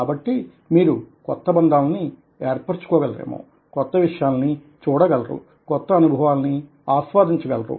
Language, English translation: Telugu, so you are able to make new connections, you are able to see new things, you are able to have new experiences which you can relate